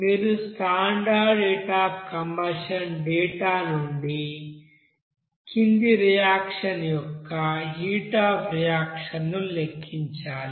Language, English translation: Telugu, Like you have to calculate the heat of reaction of the following reaction from the standard heat of combustion data